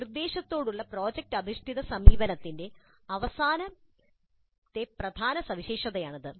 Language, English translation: Malayalam, This is the last key feature of the project based approach to instruction